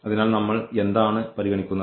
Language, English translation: Malayalam, So, what do we consider